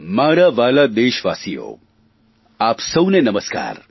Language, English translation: Gujarati, My dear countrymen, my greetings namaskar to you all